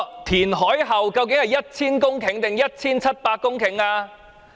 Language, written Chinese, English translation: Cantonese, 填海面積究竟是 1,000 公頃還是 1,700 公頃？, Is the area of reclamation 1 000 hectares or 1 700 hectares?